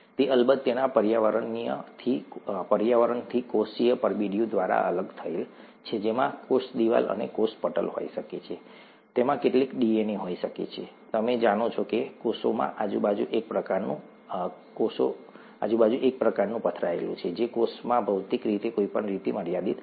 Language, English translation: Gujarati, It is of course separated from its environment through a cellular envelope that could have a cell wall and a cell membrane, it could have some DNA, you know kind of strewn around here in the cell which is not limited in any way physically in the cell; and this is prokaryote before nucleus